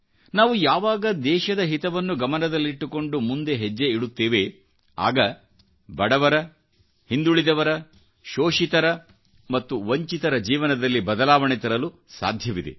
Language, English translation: Kannada, When we move ahead in the national interest, a change in the lives of the poor, the backward, the exploited and the deprived ones can also be brought about